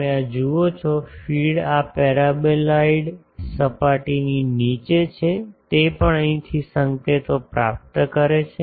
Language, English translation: Gujarati, You see so, feed has below this paraboloidal surface also it is receiving signals from here